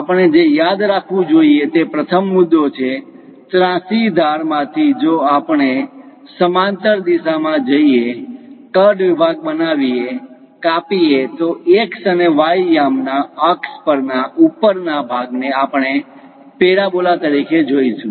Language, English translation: Gujarati, The first point what we have to remember is, from slant if we are going in a parallel direction, make a cut section, remove; the top portion the leftover portion on coordinate axis of x and y we see it as parabola